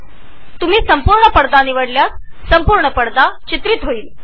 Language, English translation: Marathi, If you select Full Screen, then the entire screen will be captured